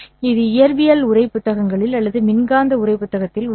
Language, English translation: Tamil, This is in physics textbooks or in electromagnetic textbooks, you would find this as v